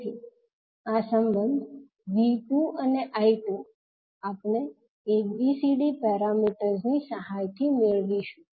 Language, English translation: Gujarati, So this relationship V 2 and I 2 we will get with the help of ABCD parameters